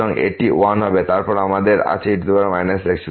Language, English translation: Bengali, So, this will be 1, then we have power minus